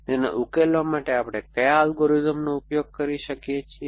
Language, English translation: Gujarati, What are the algorithms at we use for solving it